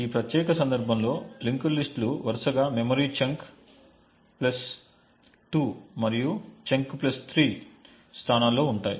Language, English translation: Telugu, So in this particular case the linked lists would be present at the locations chunk plus 2 and chunk plus 3 respectively